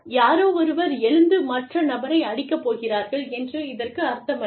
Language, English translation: Tamil, It does not mean that, somebody will get up, and beat up the other person